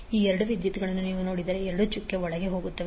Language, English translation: Kannada, So if you see these two currents, both are going inside the dot